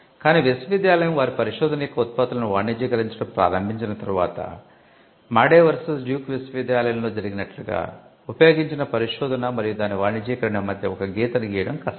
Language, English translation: Telugu, But once university start commercializing the products of their research; it may be hard to draw a line between research used and commercialization as it happened in Madey versus Duke University